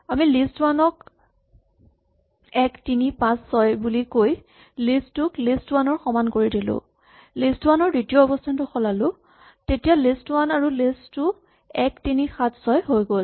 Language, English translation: Assamese, So, if I say list1 in to 1, 3, 5, 6 for example, and I say list2 is equal to list1 and then I just change the position 2 of list1 then list1 and list2 are 1, 3, 7, 6